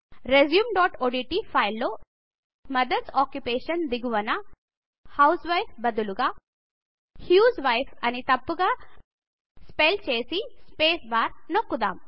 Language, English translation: Telugu, In our resume.odt file under Mothers Occupation, we shall type a wrong spelling for housewife in the sentence, as husewife and press the spacebar